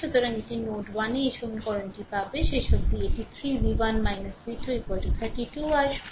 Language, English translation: Bengali, So, this is at node 1 you will get this equation finally, is it coming 3 v 1 minus v 2 is equal to 32